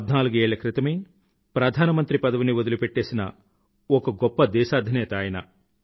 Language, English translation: Telugu, He was a leader who gave up his position as Prime Minister fourteen years ago